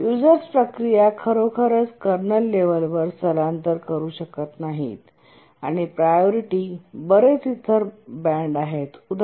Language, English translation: Marathi, The user processes cannot really migrate to kernel level and there are several other bands of priority